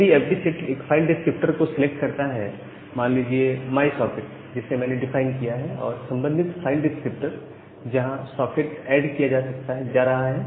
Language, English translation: Hindi, So, if this fd set selects a file descriptor say, my socket that I have defined and the corresponding the file descriptor, which where the socket is getting added